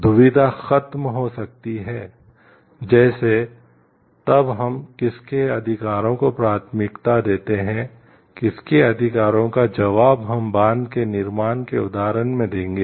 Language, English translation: Hindi, Dilemma may come over; like, then whose rights do we priorities whose rights we will answer to like in the example of the building of the dam